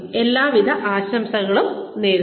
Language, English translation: Malayalam, Wish you all the best